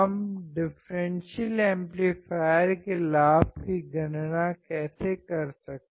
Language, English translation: Hindi, How can we calculate the gain of a differential amplifier